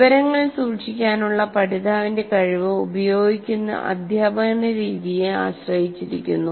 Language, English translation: Malayalam, The learner's ability to retain information is also dependent on the type of teaching method that is used